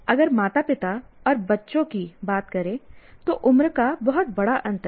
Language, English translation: Hindi, Now if you talk about parents and children, there is a huge, much, much bigger age gap